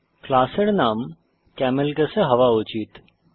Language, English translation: Bengali, * The class name should be in CamelCase